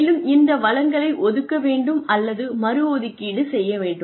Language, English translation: Tamil, And, the resources may need to be allocated or reassigned